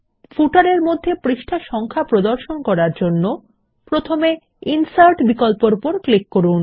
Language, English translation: Bengali, To display the page number in the footer, we shall first click on the Insert option